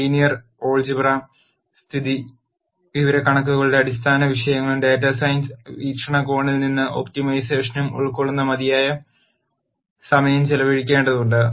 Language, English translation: Malayalam, We also have to spend enough time covering the fundamental topics of linear algebra statistics and optimization from a data science perspective